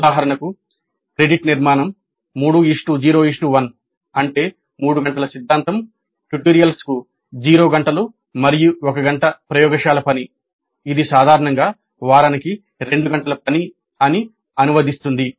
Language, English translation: Telugu, For example the credit structure may be 3 0 1, that means 3 hours of theory, no tutorials and one credit of laboratory work which typically translates to two hours of work per week